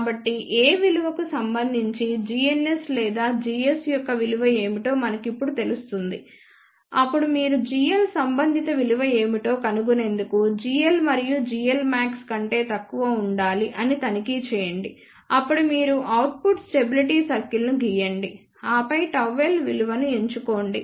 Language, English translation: Telugu, So, corresponding to this value of A we know now what is the value of g ns or you can say g s, then you find out what is the corresponding value of g l check that g l has to be less than g l max then you draw output stability circle then choose the value of gamma l